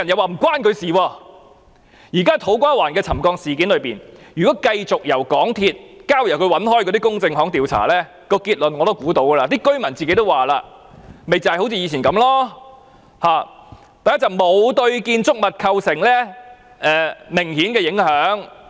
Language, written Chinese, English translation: Cantonese, 就現時土瓜灣站的沉降事件來說，如果繼續由港鐵公司交給它一向聘用的公證行調查，我也可以想得到結論是甚麼，不就是像以前一樣，第一是工程沒有對建築物構成明顯的影響。, Regarding the incident of settlement in To Kwa Wan if the investigation should continue to be carried out by these notaries consistently hired by MTRCL I could conjecture what the conclusion would be . It would be the same as those made previously . First the construction works would be said to have caused no obvious impact on the structures despite that cracks appeared on the structures and that the groundwater underneath the agricultural land had all dried up